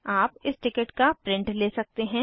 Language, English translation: Hindi, You can take a print out of the ticket